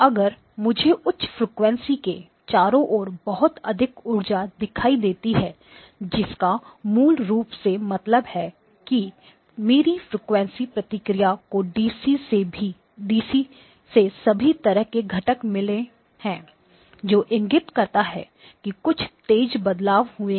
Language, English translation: Hindi, If I tend to see a lot of energy around the high frequencies right which basically means that my frequency response has got components all the way from DC to, that indicates that there have been some sharp transitions